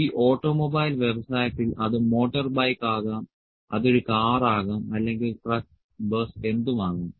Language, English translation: Malayalam, This automobile industry just put automobile, it can be motorbike, it can be a car, or truck, bus whatever it is